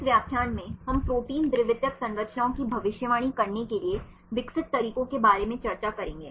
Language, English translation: Hindi, In this lecture we will discuss about the methods developed for predicting protein secondary structures